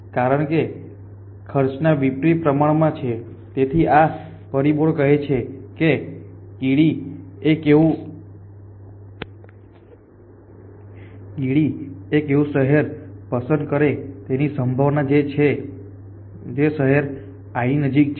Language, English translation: Gujarati, Because this is inversely proportion to cost and then the ants so this factors says that the ant is likely to choose a city which is close to the city i at which it is